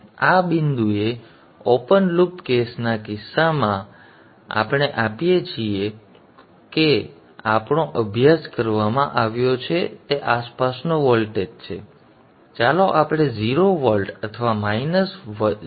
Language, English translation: Gujarati, Now in the case of the open loop case at this point we use to give a steady, let us say, we steady DC voltage of around let us say 0 volts or minus 0